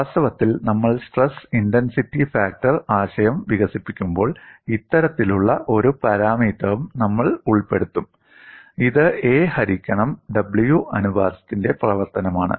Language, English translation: Malayalam, In fact, when we develop the stress intensity factor concept, we will also involve this kind of a parameter, which is a function of the a by w ratio